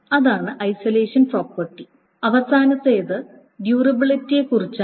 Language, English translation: Malayalam, So that's the thing about isolation and finally the thing is about durability